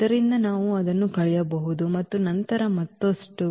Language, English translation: Kannada, So, we can subtract it and then further